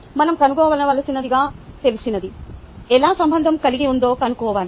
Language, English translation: Telugu, how do we relate what is known to what we need to find